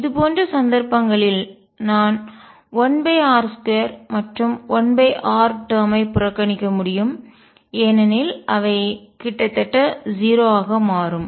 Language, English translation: Tamil, In such cases I can ignore 1 over r square and 1 over r terms because they will become nearly 0